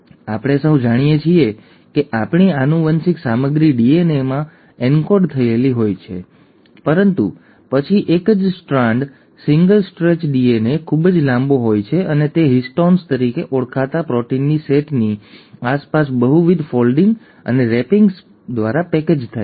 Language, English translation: Gujarati, And we all know that our genetic material is encoded in DNA, but then a single strand, a single stretch DNA is way too long and it kind of gets package through multiple folding and wrappings around a set of proteins called as histones